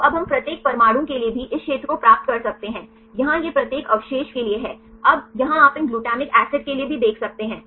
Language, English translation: Hindi, So, now we can also get the this area for each atoms, here this is for each residue, now here you can see even for these glutamic acid